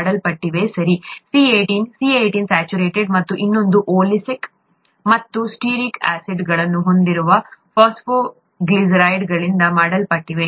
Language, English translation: Kannada, C18 saturated; and the other is made up of phosphoglycerides containing oleic and stearic acids